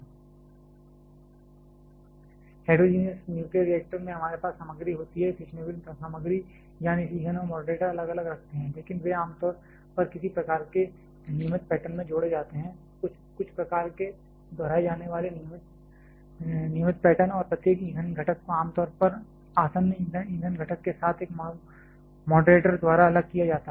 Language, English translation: Hindi, In heterogeneous nuclear reactor we have material ,the fissionable material, that is fuel and moderator keep separately, but they generally added in some kind of regular pattern, some kind of repeatable regular pattern and every fuel component is generally separated by a moderator with the adjacent fuel components